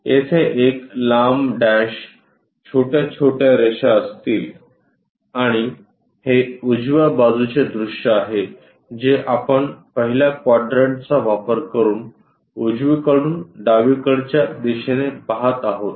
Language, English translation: Marathi, And there will be long dash, short dashed lines and this one is right side view which we are looking from right side towards the left direction using first quadrant